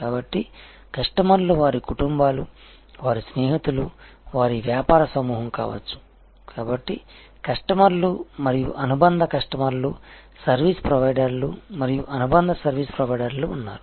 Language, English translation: Telugu, So, there are customers, their families, their friends their it can be a business groups, so there are customers and subsidiary customers service providers and subsidiary service providers